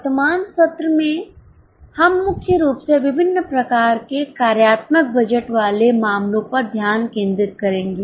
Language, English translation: Hindi, In the current session we will mainly focus on the cases involving different types of functional budget